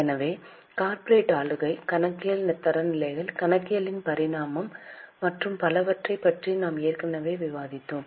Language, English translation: Tamil, So, we have already discussed about corporate governance, accounting standards, evolution of accounting and so on